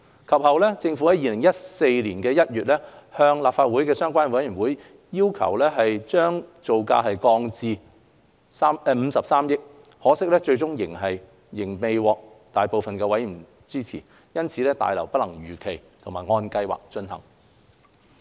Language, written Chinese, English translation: Cantonese, 及後，政府於2014年1月按立法會相關委員會的要求將造價降低至53億元，可惜最終仍未獲大部分委員支持，大樓因此不能如期和按計劃進行。, Subsequently in January 2014 the Government reduced the cost to 5.3 billion in response to the request of the Subcommittee Members . Unfortunately it was ultimately not supported by the majority of Subcommittee members . As such the New BH project was unable to proceed on schedule as planned